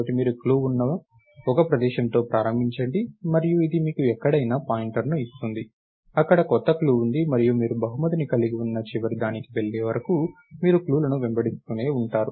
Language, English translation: Telugu, So, you start with one location where there is a clue, and this gives you a pointer to somewhere else, where there is a new clue and you keep chasing the clues till you go to the end where you have a prize